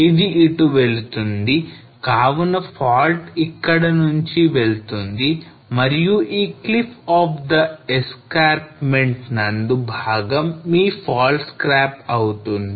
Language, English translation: Telugu, So this goes here so the fault runs somewhere over here and this portion of the cliff of the escarpment is your faults scarp